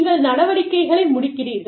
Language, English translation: Tamil, You are winding up operations